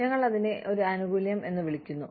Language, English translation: Malayalam, We call it a benefit